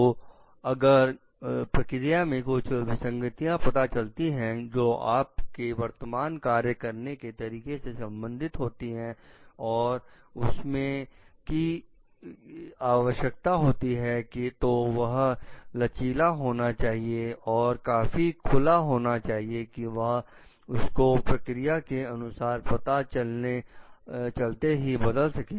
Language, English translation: Hindi, So, if the process reveals any discrepancy between a present like you present functions ways of doing things and they are required things then the organization must be flexible, must be open enough to change it with respect to the processes that is getting reveled